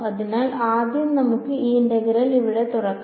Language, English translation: Malayalam, So, the first let us just open up this integral over here